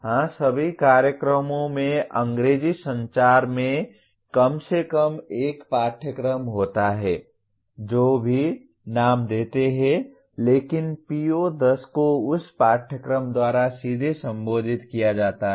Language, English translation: Hindi, Yes, all programs have at least one course in English Communication whatever name they give but PO10 is directly addressed by that course